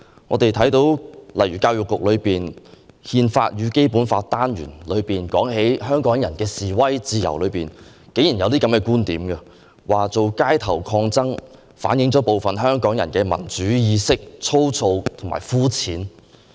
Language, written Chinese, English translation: Cantonese, 我們看到在教育局的"憲法與《基本法》"單元中提到香港人的示威自由時，竟然有以下觀點：作出街頭抗爭，反映部分香港人的民主意識粗糙和膚淺。, In the Constitution and the Basic Law module developed by the Education Bureau on the freedom of demonstration of Hong Kong people the teaching material contains the following viewpoint making street protests show the rough and shallow understanding of democracy of some Hong Kong people